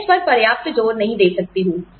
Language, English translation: Hindi, I cannot emphasize on this enough